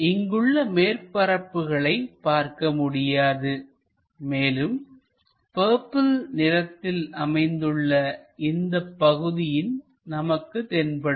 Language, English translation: Tamil, Because we cannot see these surfaces, the rest of the surface what we can see is this purple one along with this part